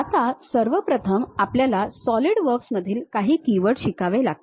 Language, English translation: Marathi, Now, first of all we have to learn few key words in solidworks